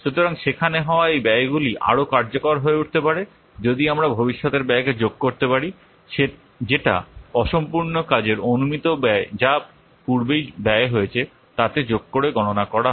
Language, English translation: Bengali, So these cost charts that have been developed can become much more useful if we can add the projected future cost which are calculated by adding the estimated cost of the uncompleted work to the cost which have already incurred